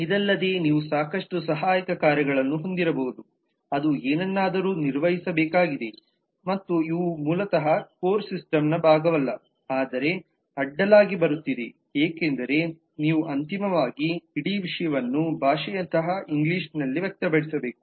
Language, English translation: Kannada, and besides that you may have a lot of auxiliary actions like is something has to be performed and so on which are basically not part of the core system, but is coming across because you need to finally express the whole thing in a english like language